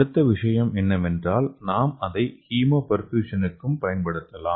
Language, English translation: Tamil, So next thing is we can also use it for Hemoperfusion